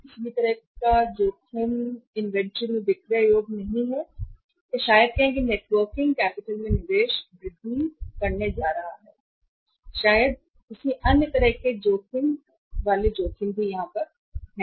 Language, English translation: Hindi, Any kind of the risk of say inventory not being saleable or maybe say investment in the networking capital is going to increase or maybe any other kind of the risk of sale and service is also there